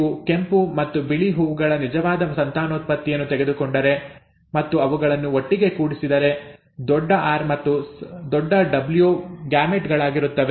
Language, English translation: Kannada, The, if you take true breeding red and white flowers and cross them together, the gametes will be capital R and capital W